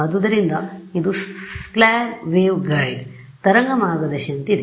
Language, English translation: Kannada, So, it is like a slab waveguide right